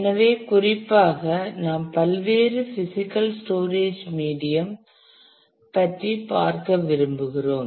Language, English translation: Tamil, So, specifically we want to look at various physical storage medium because